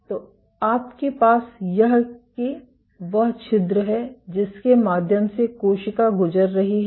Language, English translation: Hindi, So, you have this is the pore the cell is passing through it